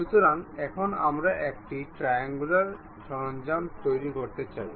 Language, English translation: Bengali, So, here we want to construct a triangular tool